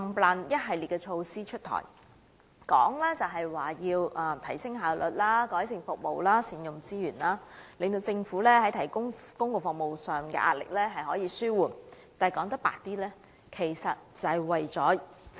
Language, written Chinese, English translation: Cantonese, 上述一系列措施紛紛出台，美其名是提升效率、改善服務及善用資源，使政府在提供公共服務上的壓力得以紓緩，但說得直接一點，便是政府要節省開支。, The purposes of rolling out the aforesaid series of initiatives one after another can be rhetorically described as enhancing efficiency improving services and putting resources to optimal use so that the pressure faced by the Government in providing public services can be alleviated . However to put it more direct it all boils down to cutting back on government expenditure